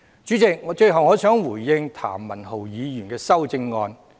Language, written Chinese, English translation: Cantonese, 主席，最後我想回應譚文豪議員的修正案。, President finally I would like to respond to Mr Jeremy TAMs amendment